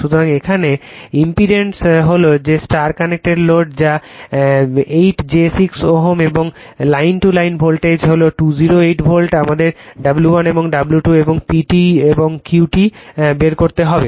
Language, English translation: Bengali, So, , impedance is given star connected loadthat is 8 plus j 6 ohm and line to line voltage is 208 volt right we have to find out W 1 and W 2 and P T and Q T